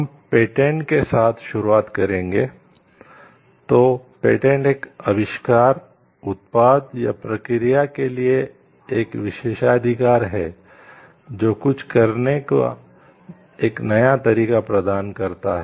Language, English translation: Hindi, So, a patent is an exclusive right granted for an invention, a product or a process that provides a new way of doing something